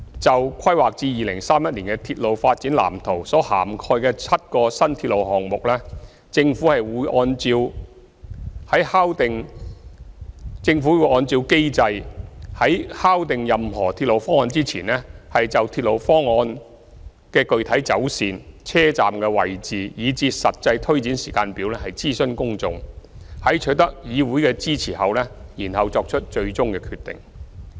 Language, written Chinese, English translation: Cantonese, 就規劃至2031年的鐵路發展藍圖所涵蓋的7個新鐵路項目，政府會按照機制，在敲定任何鐵路方案前，就鐵路方案的具體走線、車站位置，以至實際推展時間表諮詢公眾，在取得議會的支持後作出最終決定。, Regarding the seven railway projects included in the blueprint for railway development up to 2031 the Government will follow the established mechanism to consult the public on the proposed alignment locations of stations and delivery programme before finalizing any proposed railway project and make the final decision after obtaining the support of the Council